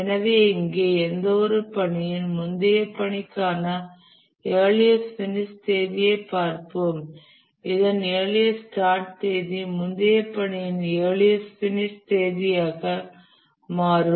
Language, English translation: Tamil, So any task here, we'll look at the earliest finish date for the previous task and the earliest start date of this will become the earliest finish date of the previous task